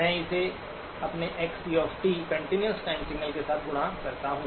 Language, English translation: Hindi, I multiply this with my xc of t, continuous time signal